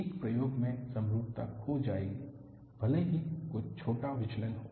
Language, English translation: Hindi, In an experiment, symmetry will be lost, even if there is some small deviation